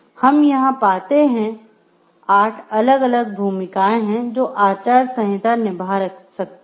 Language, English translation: Hindi, So, what we find over here there are 8 different roles, which codes of ethics may play